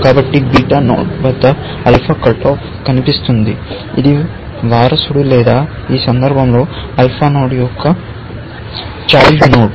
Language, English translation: Telugu, So, an alpha cut off appears at a beta node, which is a descendant or in this case, a child of alpha node